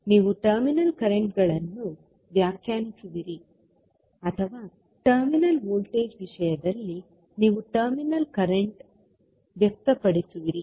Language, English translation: Kannada, You will define the terminal currents or you will express the terminal currents in terms of terminal voltage